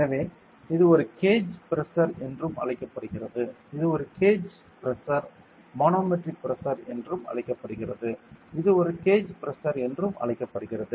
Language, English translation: Tamil, So, it is also known as a gauge pressure it is known as a gauge pressure manometric pressure is also known as gauge pressure